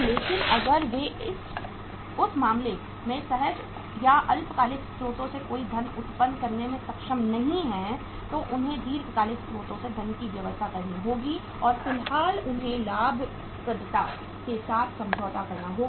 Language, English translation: Hindi, But if they are not able to generate any funds from the spontaneous or short term sources in that case they will have to arrange the funds from the long term sources and for the time being they have to compromise with the profitability